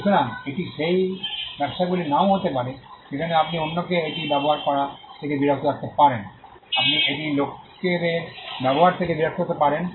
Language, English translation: Bengali, So, it may not be the businesses that in which you can stop others from using it you could also stop people from using it